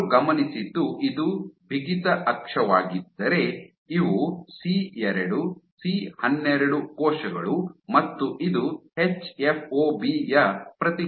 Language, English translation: Kannada, And what they observed was so if this is my stiffness axis, so these are C2C12 cells and this is the response of hFOB